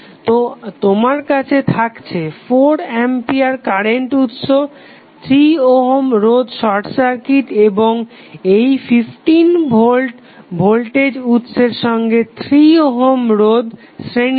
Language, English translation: Bengali, So, you have just simply 4 ampere current source 3 ohm resistance short circuit and this 15 volt voltage source in series with 3 ohm resistance